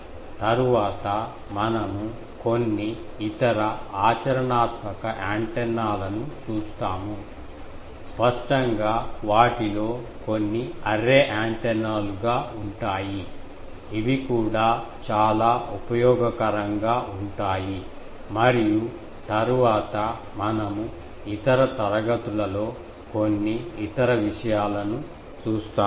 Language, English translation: Telugu, Next, we will see some other very practical antennas; obviously, some of them will be array antennas which are also very useful and then, we will see some other things in other classes